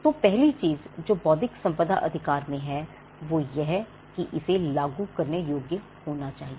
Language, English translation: Hindi, The third thing about an intellectual property right is the fact that you can easily replicate it